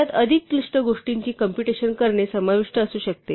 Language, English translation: Marathi, It could involve computing more complicated things